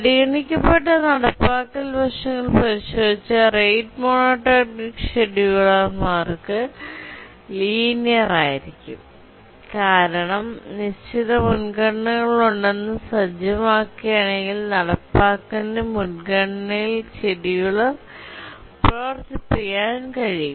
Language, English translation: Malayalam, If you look at the implementation aspects that we are considering, it's linear for rate monotonic schedulers because if you remember, it said that there are fixed priorities and then the implementation that we had, we could run the scheduler in O 1 priority